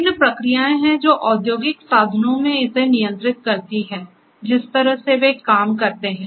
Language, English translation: Hindi, So, there are different processes which control this in industrial instruments, the way they work and so on